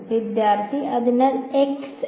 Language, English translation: Malayalam, So x n